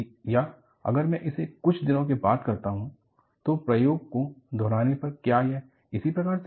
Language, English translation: Hindi, Or, if I repeat the experiment, after a few days, will it happen in the same fashion